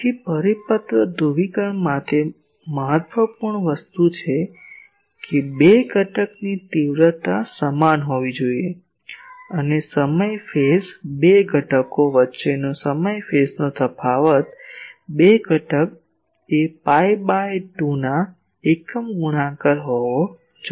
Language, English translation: Gujarati, So, for circular polarisation the important thing is; magnitude of the 2 component should be same and time phase the time phase difference between the 2 components should be odd multiples of pi by 2